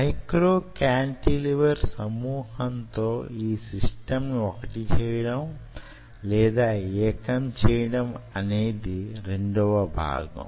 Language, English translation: Telugu, the problem is statement two is how to integrate this system on a micro cantilever assembly